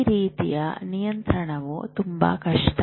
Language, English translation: Kannada, So that type of control is very difficult